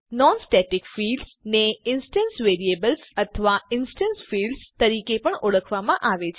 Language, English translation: Gujarati, Non static fields are also known as instance variables or instance fields